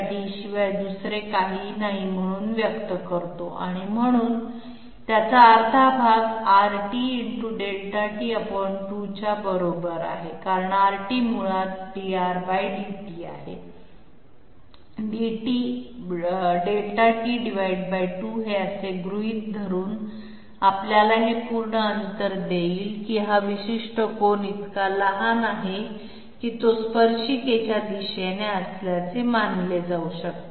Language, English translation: Marathi, And we express this particular distance as nothing but R t Delta t therefore, half of it is equal to R t into Delta t by 2 okay because R t is basically dr /dt into Delta t will give us this complete distance assuming that this particular angle is so small that it can be well considered to be in the direction of the tangent